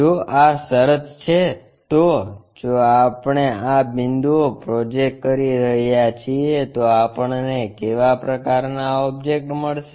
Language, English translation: Gujarati, If that is the case if we are projecting these points, what kind of object we are going to get